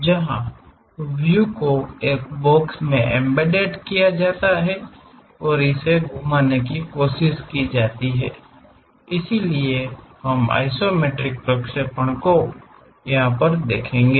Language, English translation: Hindi, Where the views are embedded in a box and try to rotate so that, we will see isometric projections